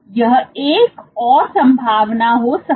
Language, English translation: Hindi, This might be another possibility